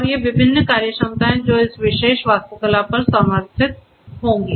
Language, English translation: Hindi, And these different functionalities that are going to be you know supported on this particular architecture